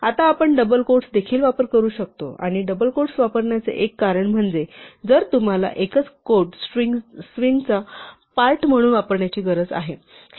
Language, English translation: Marathi, Now we can also use double quotes; and one reason to use double quotes is if you actually need to use a single quote as part of the string